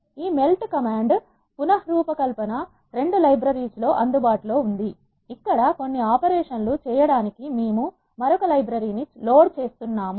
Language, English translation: Telugu, This melt command is available in the reshape 2 library, here is the first time we are loading another library to perform some operations